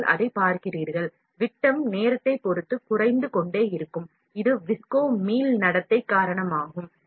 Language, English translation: Tamil, You see that, the diameter will keep reducing with respect to time; this is because of the visco elastic behavior